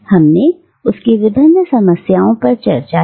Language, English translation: Hindi, We have discussed its various problems